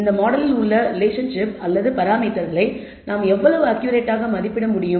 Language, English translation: Tamil, In terms of how accurately we can estimate the relationship or the parameters in this model